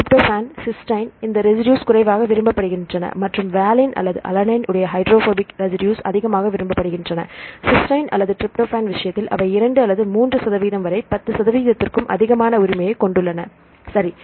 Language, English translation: Tamil, Tryptophan, cysteine, these residues are less preferred and if you see the hydrophobic residues right valine or alanine, right you can say highly preferred, they have more than about 10 percent right in the case of cysteine or the tryptophan, to 2 to 3 percent right